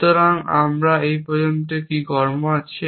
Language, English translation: Bengali, So, what are the actions we have so far